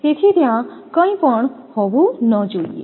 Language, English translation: Gujarati, So, there should not be anything